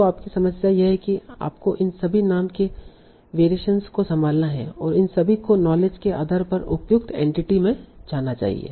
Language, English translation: Hindi, So the problem is you have to handle all these name variations and all these should map to the appropriate entity in the knowledge base